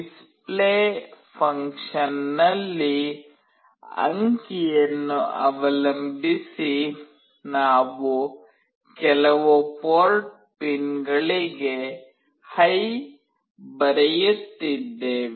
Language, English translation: Kannada, In Display function, depending on the digit, we are writing HIGH to some of the port pins